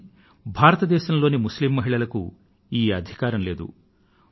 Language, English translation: Telugu, But Muslim women in India did not have this right